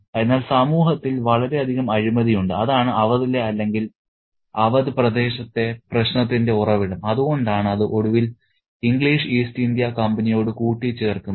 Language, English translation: Malayalam, So, there is a deep moral corruption in the society and that is the source of the problem in Aoud or in the region of Aoud and that's why it eventually is annexed by the English East India Company